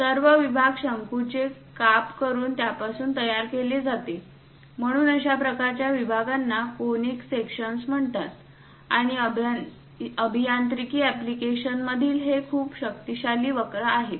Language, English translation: Marathi, On the sections are generated from cone by slicing it; so such kind of sections are called conic sections, and these are very powerful curves in engineering applications